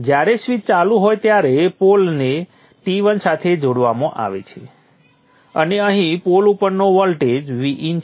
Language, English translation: Gujarati, When the switch is on the pole is connected to T1 and the voltage at the pole here is V in